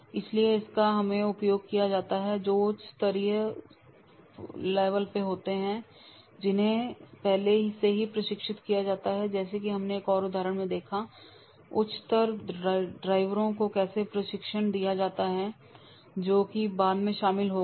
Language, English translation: Hindi, So, this is always been used, that is the those who are at the senior level, those who have already trained as we have seen in the another example, that is how the senior drivers they were giving the training to the junior drivers who have joined later